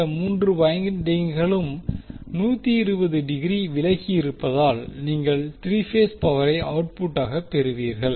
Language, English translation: Tamil, So, since these all 3 windings are 120 degree apart you will get 3 phase power as a output